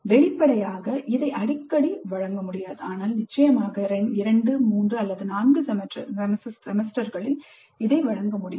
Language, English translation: Tamil, Obviously this cannot be offered too often but certainly in 2 3 4 semesters this can be offered